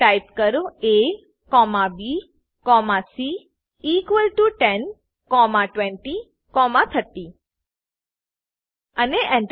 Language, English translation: Gujarati, Type a comma b comma c equal to 10 comma 20 comma 30 and press Enter